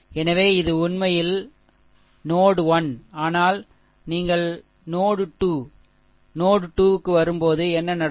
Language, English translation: Tamil, So, this is this is actually node 1, but when you come to node 2, node 2 then what will happen